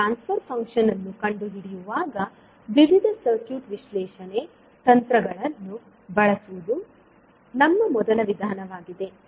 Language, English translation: Kannada, That is our first method of finding out the transfer function where we use various circuit analysis techniques